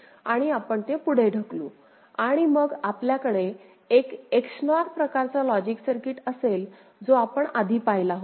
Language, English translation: Marathi, And we’ll push it and then we will be having a XNOR kind of logic circuit which we had seen before ok